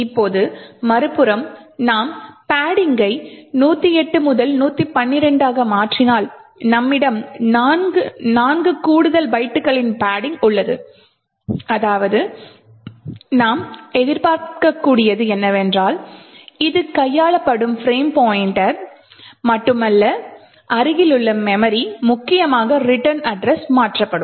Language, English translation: Tamil, Now if on the other hand we change padding from 108 to 112 which means that we have four extra bytes of padding, what we can expect is that it is not just the frame pointer that gets manipulated but also the adjacent memory which essentially is the return address would also get modified